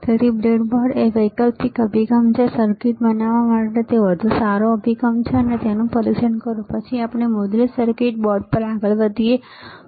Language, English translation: Gujarati, So, breadboard is an alternative approach is a better approach to making the circuit, and test it and then we move on to the printed circuit board, all right